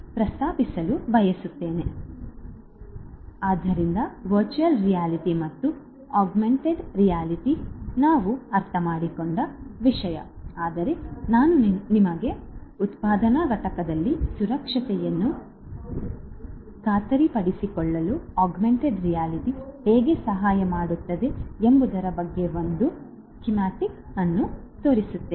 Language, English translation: Kannada, So, virtual reality and augmented reality is something that we have understood, but let me show you, let me draw a schematic of how augmented reality would help in ensuring safety and security in a manufacturing plant